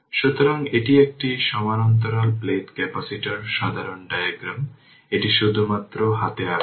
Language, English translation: Bengali, So, this is a parallel plate capacitor simple diagram, I have drawn it by hand only right